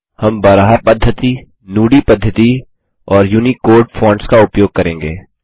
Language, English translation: Hindi, We will use Baraha method, the Nudi method and the UNICODE fonts